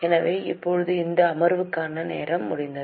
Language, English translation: Tamil, So, now the time for this session is up